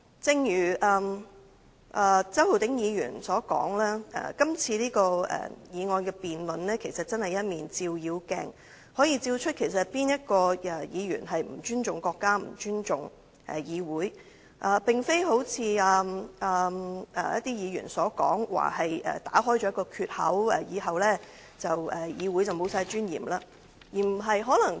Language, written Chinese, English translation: Cantonese, 正如周浩鼎議員所說，今次的議案辯論其實真的是一面照妖鏡，可以照出哪位議員並不尊重國家、不尊重議會，並非好像某些議員所說，指議案打開了一個缺口，以後議會便完全沒有尊嚴。, As Mr Holden CHOW said this motion debate is in fact a real demon - revealing mirror which can identify Members who disrespect the country and disrespect this Council . It is not true that the motion has as some Members have said breached a gap for this Council to be stripped of all its dignity in future